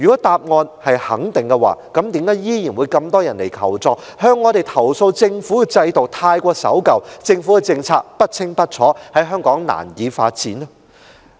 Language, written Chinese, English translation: Cantonese, 答案是肯定的話，那為何依然有很多人向我們尋求協助，投訴政府的制度太守舊、政策不清不楚、在香港難以發展？, If the answer is in the affirmative how come so many people have still sought help from us complaining about the conservative government regime the unclear policies and the difficulties encountered in pursuing development in Hong Kong?